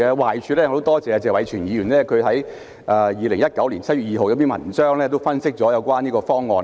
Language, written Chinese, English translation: Cantonese, 壞處方面，我很多謝謝偉銓議員在2019年7月2日的一篇文章分析了這個方案。, Concerning the downsides of it I very much thank Mr Tony TSE for providing an analysis of this proposal in his article on 2 July 2019